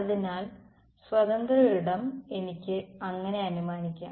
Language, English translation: Malayalam, So, free space I can make that assumption